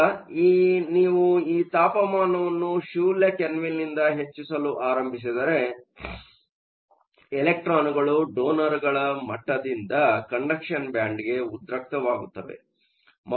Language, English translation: Kannada, Now, if you start to increase your temperature from zero Kelvin, electrons are going to get excited from the donor level to the conduction band